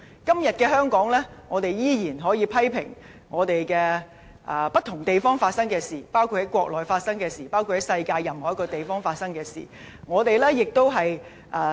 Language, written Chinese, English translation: Cantonese, 今天在香港，我們依然可以批評不同地方發生的事，包括國內發生的事，包括在世界任何一個地方發生的事。, In todays Hong Kong we can still criticize events that happen in various places including events that happen in the Mainland and in any corner of the world